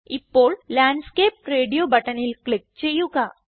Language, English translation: Malayalam, Now, lets click on Landscape radio button and then click on Preview button